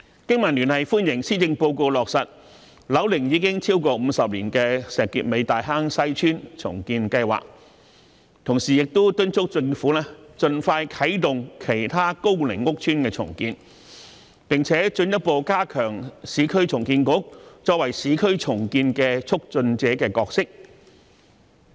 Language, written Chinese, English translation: Cantonese, 經民聯歡迎施政報告落實樓齡已超過50年的石硤尾大坑西邨重建計劃，同時敦促政府盡快啟動其他高齡屋邨的重建工程，並進一步加強市區重建局作為市區重建促進者的角色。, BPA welcomes the proposal in the Policy Address to implement the redevelopment plan of Tai Hang Sai Estate in Shek Kip Mei which is over 50 years of age but at the same time urges the Government to expeditiously commence the redevelopment works of other aged housing estates and further strengthen the role of the Urban Renewal Authority as a facilitator of urban renewal